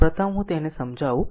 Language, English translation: Gujarati, So, first let me clear it